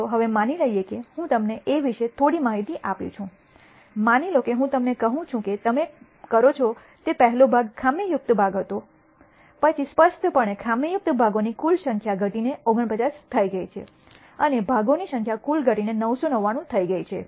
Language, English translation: Gujarati, Suppose, I tell you that the first part that you do was a defective part, then clearly the total number of defective parts have decreased to 49 and the total number of parts has decreased to 999